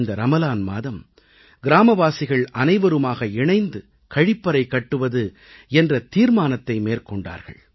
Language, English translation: Tamil, During this Ramzan the villagers decided to get together and construct toilets